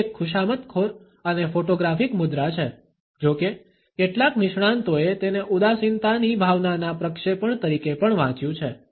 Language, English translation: Gujarati, It is a flattering and photographic pose; however, some experts have also read it as a projection of his sense of melancholy